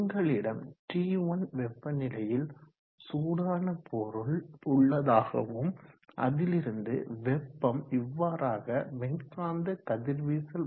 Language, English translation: Tamil, So let us say that you have a hot body like this at temperature T1 and it is radiating heat through electromagnetic radiation